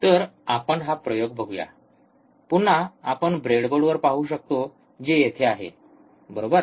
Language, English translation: Marathi, So, let us see this experiment so, again we can see on the breadboard which is right over here, right